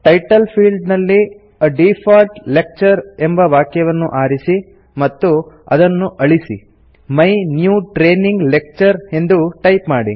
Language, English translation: Kannada, In the Title field, select and delete the name A default lecture and type My New Training Lecture